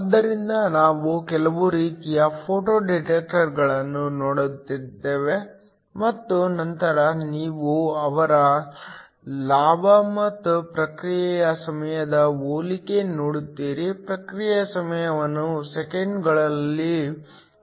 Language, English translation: Kannada, So, we look at some of the types of photo detectors and then you will look at a comparison of their gain and the response time, Response time is given in seconds